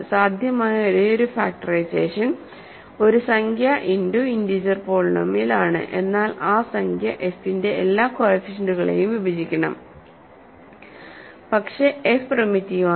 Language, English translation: Malayalam, So, the only possible factorization is an integer times another integer polynomial, but then that integer must divide all the coefficients of f f, but f is primitive, so that integer is 1 or minus 1